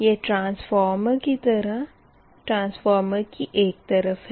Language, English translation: Hindi, this is transformer, right